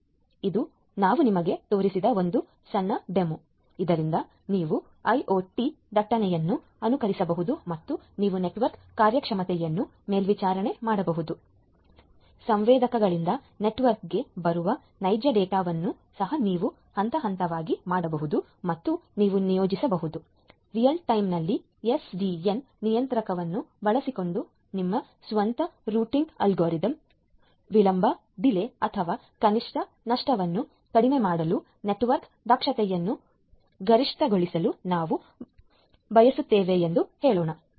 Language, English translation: Kannada, So, this is a small demo we have shown to you so, that you can emulate the IoT traffic and you can a monitor the network performance, also you can phase the real data which are coming from the sensors to the network and you can deploy your own routing algorithm using the SDN controller in the real time to have let us say minimize delay or minimum loss or let us say that we want to have the maximize the network efficiency ok